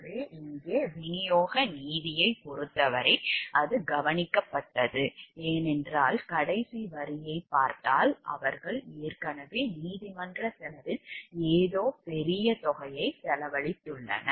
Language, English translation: Tamil, So, as far as distributive justice is concerned over here, it has been taken care of because, if you see the last line, like they have already spent something a large amount on the court cost